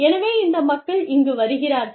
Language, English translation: Tamil, So, these people are coming here